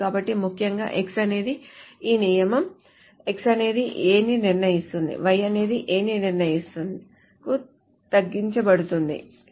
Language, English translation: Telugu, So essentially X is being that this rule, X determines A is being reduced to Y determines A